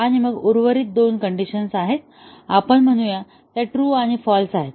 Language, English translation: Marathi, And then, the rest two are, let us say, held to true and false